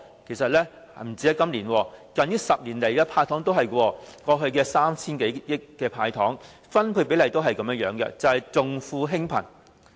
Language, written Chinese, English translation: Cantonese, 其實不單今年，近10年的"派糖"措施均是如此，過去 3,000 多億元的"派糖"措施，其分配比例均是重富輕貧。, In fact this is the case not only with the Budget this year but also with the measures of handing out sweeteners in the past 10 years . The apportioning of the 300 billion sweeteners over the years has been biased towards the rich rather than the poor